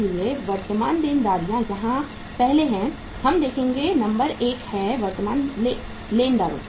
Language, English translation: Hindi, So current liabilities are first, we will see the number one is the sundry creditors